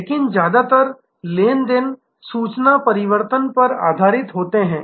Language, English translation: Hindi, But, mostly the transactions are based on information transform